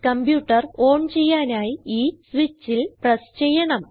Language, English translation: Malayalam, To turn on the computer, one needs to press this switch